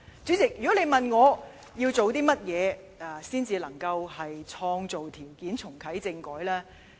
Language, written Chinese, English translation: Cantonese, 主席，如果問我，我們要做些甚麼，才能創造條件重啟政改呢？, President if you ask me what we will have to do to create conditions for reactivating constitutional reform I will say that I first have to respond to Mr James TO